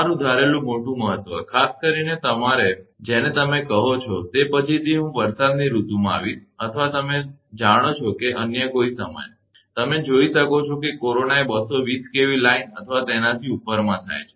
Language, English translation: Gujarati, Your assumed great importance, particularly in that your what you call, later I will come to that in the rainy season or you know or any other time also, you can see the corona is happening line 220 kV or above